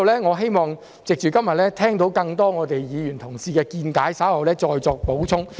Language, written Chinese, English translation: Cantonese, 我希望今天聽到更多議員同事的見解後，稍後再作補充。, I hope to hear more Members expressing their views today . After that I will give my supplementary comments